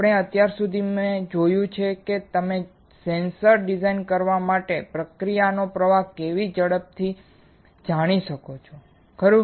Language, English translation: Gujarati, What we have seen until now is how you can quickly know the process flow for designing a sensor right